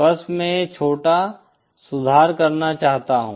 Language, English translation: Hindi, Just I want to make this small correction